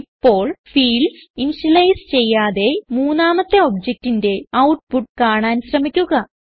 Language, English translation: Malayalam, Now, try de initializing the fields and see the output for the third object